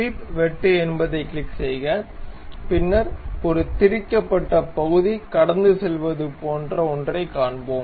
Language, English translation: Tamil, So, click swept cut then we will see something like a threaded portion passes